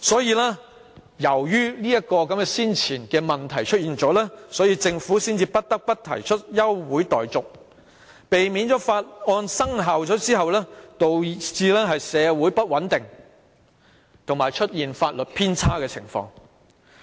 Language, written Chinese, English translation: Cantonese, 基於這前提，政府才不得不提出休會待續議案，以避免法案生效而導致社會出現不穩及法例偏差的情況。, On this premise the Government had to move an adjournment motion so as to prevent social instability and legal discrepancy resulted from the commencement of the bill